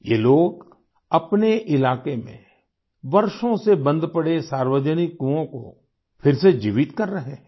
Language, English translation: Hindi, These people are rejuvenating public wells in their vicinity that had been lying unused for years